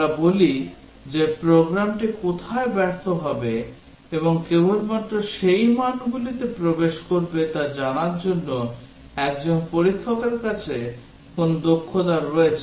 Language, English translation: Bengali, We say that a tester has a knack for knowing where the program will fail and enters only those values